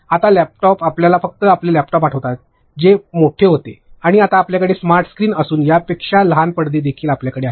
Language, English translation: Marathi, Now, a laptops, you remember the only your laptops which were those big ones, and now you have smart screens you have even like smaller screens than this